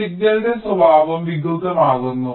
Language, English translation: Malayalam, ok, the nature of the signal gets deformed